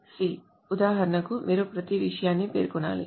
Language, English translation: Telugu, C, for example, you must specify each and everything